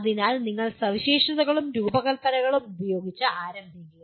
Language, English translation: Malayalam, So you start with specifications and design